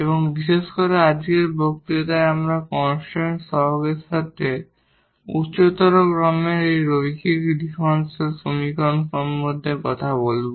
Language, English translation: Bengali, And in particular in today’s lecture we will be talking about these linear differential equations of higher order with constant coefficients